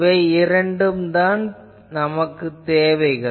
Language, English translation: Tamil, So, these are the two things